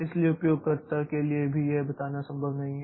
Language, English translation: Hindi, So, for the user also it is not possible to tell